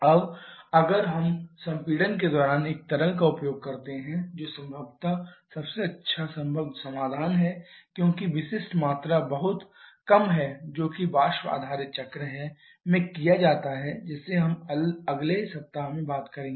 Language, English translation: Hindi, Now if we are using a liquid during compression that is probably the best possible solution because specific volume is very small that is what is done in a stream based cycle which we shall be talking in next week